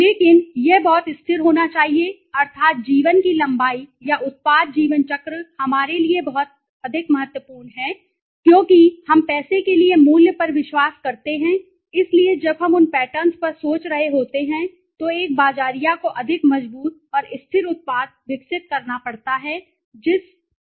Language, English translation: Hindi, But it has to be very steady that means the length of life or the product life cycle is more important to us because we believe in value for money right so when we are thinking on those patterns automatically a marketer has to develop a more robust and steady product then more aesthetically strong product okay